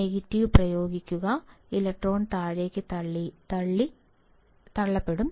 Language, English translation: Malayalam, Negative apply, electron will be pushed down